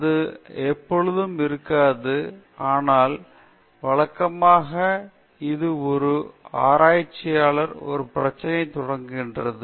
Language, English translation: Tamil, This need not be the case always, but usually this is a case that a researcher starts with a problem